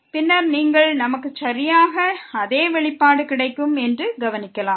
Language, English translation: Tamil, And then you will notice that we will get exactly the same expression